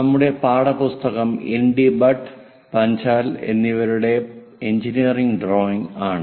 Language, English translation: Malayalam, Our text book is engineering drawing by ND Bhatt, and Panchal, and others